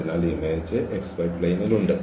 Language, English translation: Malayalam, So, the image is there in the x y plane